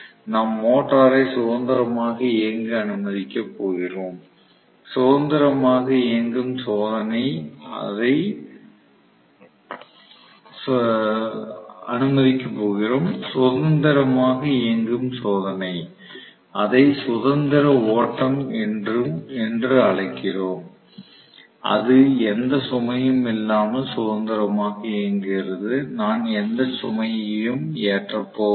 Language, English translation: Tamil, We are just going to allow the motor to run freely, free running test, we call it as free running it is running freely without being loaded, I am not going to load it at all